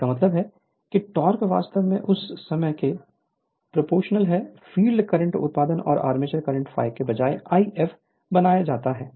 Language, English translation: Hindi, That means, your torque actually proportional to then, your field current product of field current and armature current right instead of phi we are made it is I f